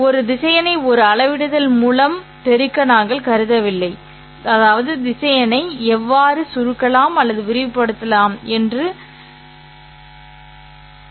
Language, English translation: Tamil, We have not considered multiplying a vector by a scalar, which means I don't know how to shrink or expand the vector